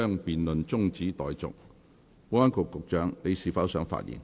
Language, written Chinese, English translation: Cantonese, 保安局局長，你是否想發言？, Secretary for Security do you wish to speak?